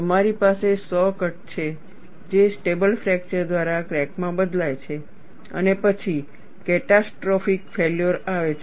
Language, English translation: Gujarati, You have a saw cut that changes into a crack by stable fracture and then catastrophic failure follows